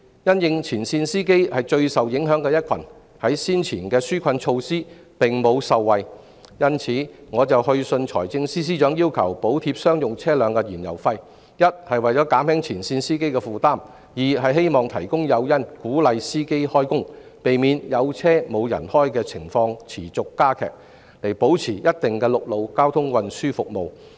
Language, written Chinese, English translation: Cantonese, 因應前線司機是最受影響的一群，而他們在先前的紓困措施中並無受惠，我就此去信財政司司長要求補貼商用車輛的燃油費，一方面為了減輕前線司機的負擔，另一方面亦希望提供誘因，鼓勵司機開工，避免"有車無人開"的情況持續加劇，以保持一定的陸路交通運輸服務。, Given that frontline drivers who are the most exposed were left out in the previous relief measures I raised the issue with the Financial Secretary in a letter requesting him to provide fuel subsidies for commercial vehicles to alleviate the burden on frontline drivers on the one hand and hopefully to encourage drivers to work by providing incentives on the other so that the situation of having vehicles but no drivers will not keep worsening and a degree of overland transport services can be maintained